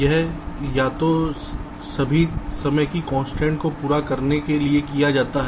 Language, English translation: Hindi, this is done either to satisfy all timing constraints